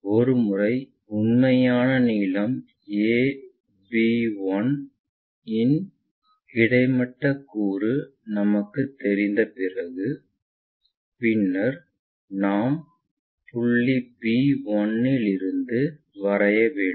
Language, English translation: Tamil, Once, we have that a horizontal component of true length a b 1 we are going to draw from point b 1